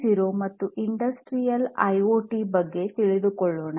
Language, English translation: Kannada, 0 and Industrial IoT